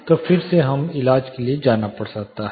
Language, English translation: Hindi, Then again we might have to go for a treatment